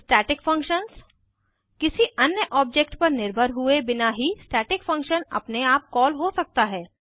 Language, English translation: Hindi, Static functions A static function may be called by itself without depending on any object